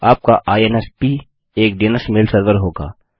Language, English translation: Hindi, Your INSP will have a DNS mail server